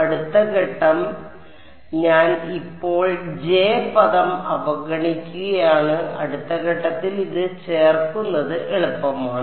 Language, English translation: Malayalam, Next step so, I am ignoring the J term for now, it is easy to add it in next step would be to take